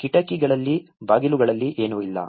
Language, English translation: Kannada, There is no windows, there is no doors nothing